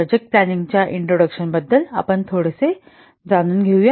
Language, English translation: Marathi, Let's a little bit see about the introduction to project planning